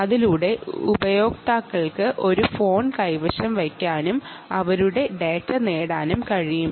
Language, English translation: Malayalam, users should be able to hold a phone and ah get their data